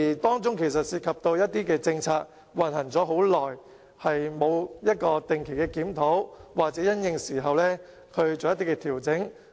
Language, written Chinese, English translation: Cantonese, 當中涉及到一些實行已久的政策缺乏定期檢討，又或沒有因應變化而作出調整。, This may due to the lack of regular review of policies that have been implemented for a long time or the lack of adjustment in response to changes